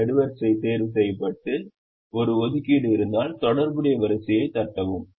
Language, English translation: Tamil, if a column is ticked and if there is an assignment, tick the corresponding row